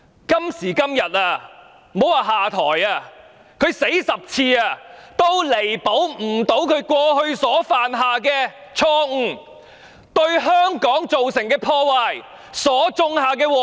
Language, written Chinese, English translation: Cantonese, 今時今日，莫說下台，即使她死10次也彌補不了所犯下的錯誤、對香港造成的破壞，以及所種下的禍根。, At this juncture let alone stepping down she cannot make up for the mistakes made the damage done and the seeds of misfortune sown in Hong Kong even if she goes to hell for 10 times